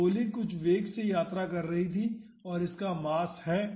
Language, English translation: Hindi, So, the bullet was traveling with some velocity and it has a mass